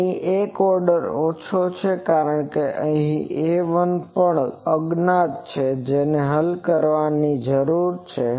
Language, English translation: Gujarati, So, one order less, because here this A 1 also is an unknown which needs to be solved